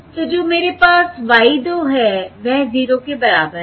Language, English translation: Hindi, So what I have is y 2 is equal to 0